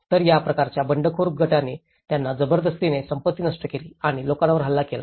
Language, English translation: Marathi, So, after this kind of Rebel groups forcing them and destroying the properties and attacking the people